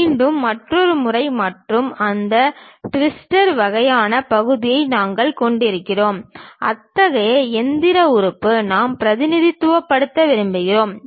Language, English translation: Tamil, And again another pattern and we have that twister kind of portion, such kind of machine element we would like to really represent